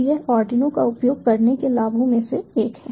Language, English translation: Hindi, so this is one of the benefits of using arduino